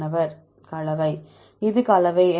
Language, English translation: Tamil, this is the composition